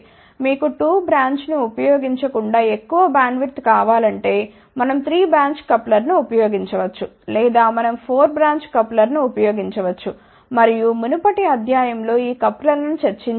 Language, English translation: Telugu, If you want a larger bandwidth instead of using 2 branch we can use 3 branch coupler, or we can use 4 branch couplers, and we have discuss these couplers in the previous lectures